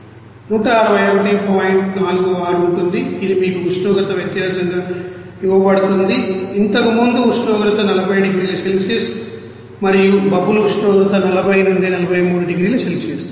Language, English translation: Telugu, 46 it is given to you into no temperature difference is what is that earlier temperature is 40 degrees Celsius and bubble temperature is 40 to 43 degrees Celsius